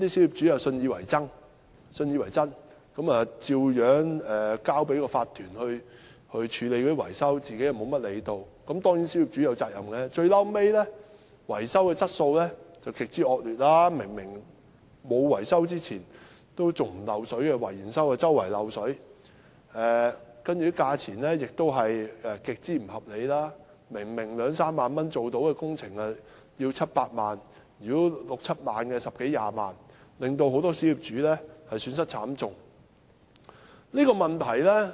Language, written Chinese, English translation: Cantonese, "於是那些小業主信以為真，交由業主立案法團處理維修，自己不怎麼理會——當然，小業主也有責任——最終維修質素極為惡劣，例如單位在維修前沒有滲水，維修後卻四處滲水；價錢亦極不合理，明明是兩三萬元便可完成的工程卻要收取七八萬元，六七萬元的工程則收取十多二十萬元，令很多小業主損失慘重。, Believing it was true the minority owners entrusted their owners corporations to deal with the maintenance projects without paying much attention themselves―certainly the minority owners were partly to blame too―eventually the quality of the maintenance works was extremely poor . For example before maintenance there was no water seepage in any flat but after maintenance there was water seepage here and there . The prices were also extremely unreasonable